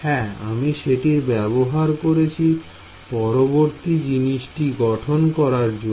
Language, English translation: Bengali, Yes, I am using that to built the next thing ok